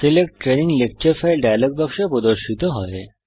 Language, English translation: Bengali, The Select Training Lecture File dialogue appears